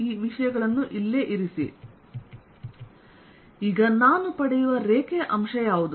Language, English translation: Kannada, so what is the line element that i get